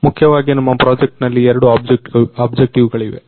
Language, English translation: Kannada, So, basically our project had two objectives